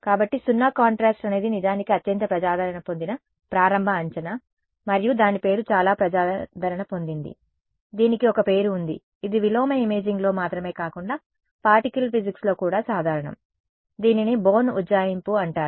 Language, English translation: Telugu, So, 0 contrast is actually is the most popular starting guess and there is a name it is so popular there is a name for it which is common in not just in inverse imaging, but also in particle physics, it is called the Born approximation right to begin with